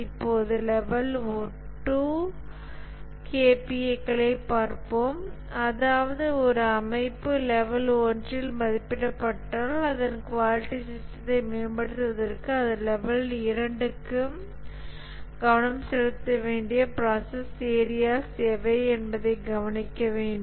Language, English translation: Tamil, Now let's look at the level 2, that is if an organization is assessed at level 1, what are the process areas it must focus to improve its quality system to level 2